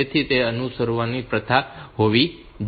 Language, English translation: Gujarati, So, that should be the practice to be followed